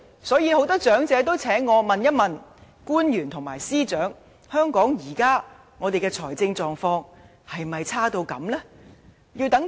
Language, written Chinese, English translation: Cantonese, 所以，很多長者也請我問一問官員和司長：香港現時的財政狀況是否差劣至此？, Therefore many elderly people have asked me to raise this question to officials and Secretaries of Departments Is the fiscal condition in Hong Kong really that poor?